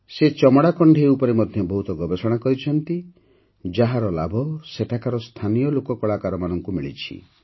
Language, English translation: Odia, He has also done a lot of research on leather puppets, which is benefitting the local folk artists there